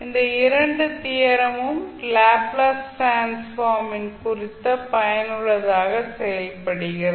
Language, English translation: Tamil, And these two theorem also serve as a useful check on Laplace transform